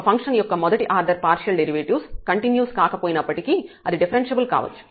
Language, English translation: Telugu, So, in this example we have seen that the partial derivatives are not continuous though the function is differentiable